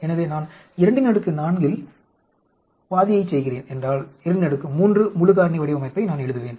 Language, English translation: Tamil, So, if I am doing a 2 power 4 half fraction of 2 power 4, I will write 2 power 3 full factorial design